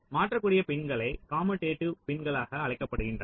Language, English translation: Tamil, and the pins which can be swapped, they are called commutative pins